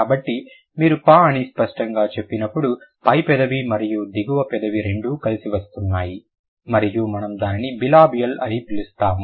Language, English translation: Telugu, So, when you say per, obviously the upper lip and the low lip both are coming together and then we will call it bilibial, right